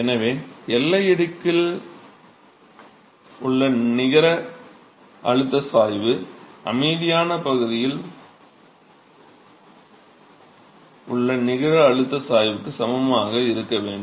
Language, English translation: Tamil, So, the net pressure gradient in the boundary layer should be equal to the net pressure gradient in the quiescent region